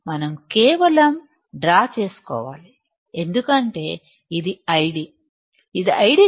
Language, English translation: Telugu, We have to, we have to just draw because this is I D, this is ID